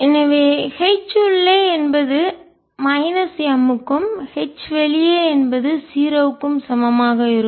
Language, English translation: Tamil, so h inside will be equal to minus m and h outside will be equal to zero